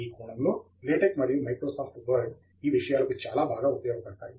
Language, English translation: Telugu, In this sense, LaTeX and Microsoft Word can take care of these aspects very well